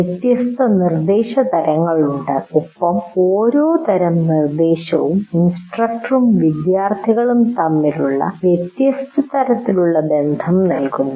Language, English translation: Malayalam, So you have different instruction types and what happens is the way each instruction type gives you a different type of relationship between the instructor and the students